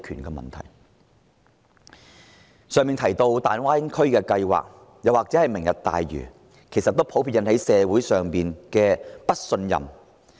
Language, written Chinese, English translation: Cantonese, 剛才提到的大灣區計劃或是"明日大嶼"，都引起社會上普遍猜疑。, The Greater Bay Area development I mentioned just now or the Lantau Tomorrow Vision have aroused widespread suspicions in society